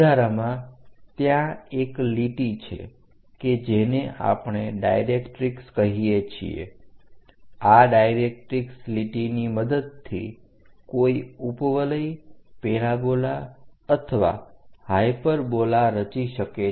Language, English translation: Gujarati, And there is a line which we call directrix line, about this directrix line one will be in a position to construct an ellipse parabola or a hyperbola